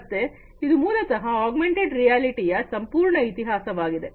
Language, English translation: Kannada, So, this is basically the overall history of augmented reality